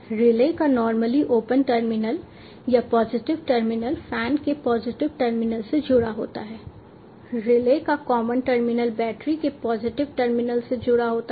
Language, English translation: Hindi, the normally open terminal of the relay, or the positive terminal, is connected to the positive terminal of the fan